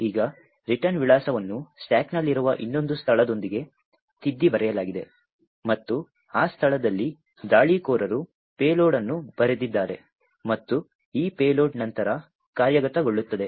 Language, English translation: Kannada, Now the return address is overwritten with another location on the stack and in that location the attacker has written a payload and this payload would then execute